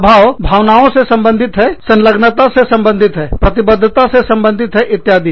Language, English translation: Hindi, Affect, relates to emotions, relates to engagement, relates to commitment, etcetera